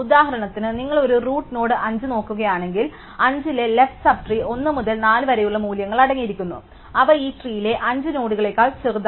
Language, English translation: Malayalam, So, for example, here if you look at a root node 5, then the left sub tree of 5 contains values 1, 2, 4 which are all the nodes in these tree smaller than 5